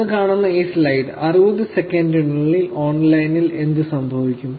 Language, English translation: Malayalam, This slide which is showing you, what happens online in 60 seconds